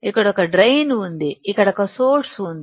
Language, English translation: Telugu, Here there is a drain, here there is a source